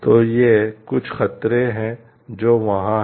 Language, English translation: Hindi, So, these are some of the threats that which are there